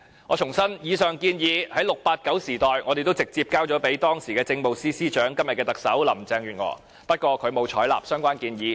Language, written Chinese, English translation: Cantonese, 我重申，以上建議在 "689" 時代我們已直接交給時任政務司司長，即今日的特首林鄭月娥，不過她沒有採納相關建議。, I must reiterate that the aforesaid proposals were handed to the then Chief Secretary for Administration that is the incumbent Chief Executive Carrie LAM in the 689 era although they were not adopted